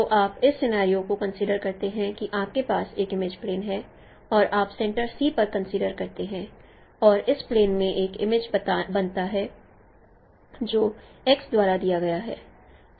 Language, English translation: Hindi, So you consider this scenario that you have an image plane and you consider a center C and there is an image formed in this plane which is given by X